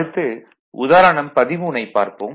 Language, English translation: Tamil, Now, next one is that this is the example 13